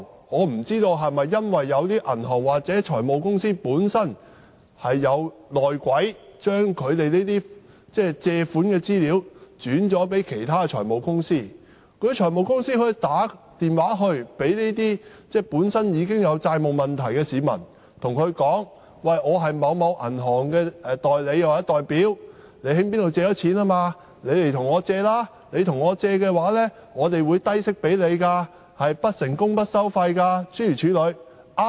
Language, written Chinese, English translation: Cantonese, 我不知道是否因為有些銀行或財務公司有"內鬼"，很多時候客戶的借貸資料會被轉介至其他財務公司，而那些財務公司會致電這些本身已經有債務問題的市民，告訴他們："我是某銀行的代理或代表，我知你向某機構借貸，你不如向我借貸，我可以提供低息貸款給你，是不成功不收費的。, The loan information of clients of some banks and finance companies is often transferred to other finance companies so I do not know if it is because of the presence of moles . As a result these finance companies may ring up these people who have got into debts and tell them I am the agent and representative of a certain bank and I know you have taken out a loan from a certain institution . You had better borrow money from my company and I will offer you a low - interest loan